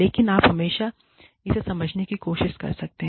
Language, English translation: Hindi, But, you can always, try to understand it